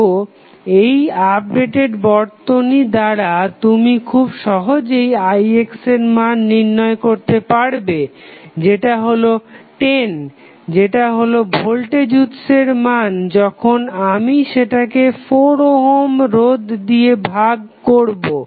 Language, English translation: Bengali, So, we with the help of this updated circuit, you can easily find out the value of Ix is nothing but 10 that is the value of the voltage source then we divided by 4 ohm resistance